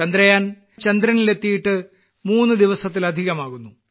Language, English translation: Malayalam, It has been more than three days that Chandrayaan has reached the moon